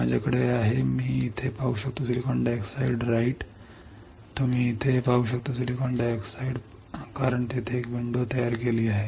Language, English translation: Marathi, I have I can see here SiO 2 right you can see here SiO 2 see why because there is a window created